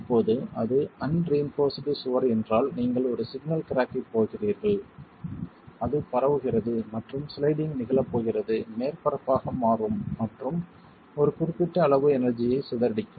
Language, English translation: Tamil, Now if it is an unreinforced wall, you are going to have one single crack that propagates and becomes the surface on which the sliding is going to occur and can dissipate a limited amount of energy